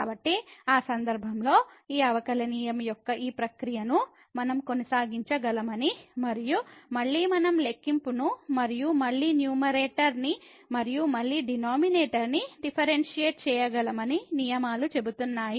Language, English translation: Telugu, So, in that case the rules says that we can continue this process of these differentiation and again we can differentiate the numerator and again the denominator